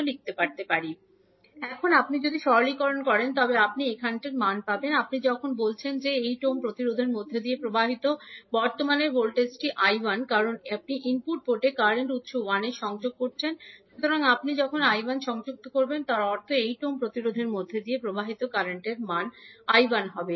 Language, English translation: Bengali, Now if you simplify, you will get the value of the now, let us see another thing when you are saying that voltage across the current flowing through 8 ohm resistance is I 1 because you are connecting the current source I 1 at the input port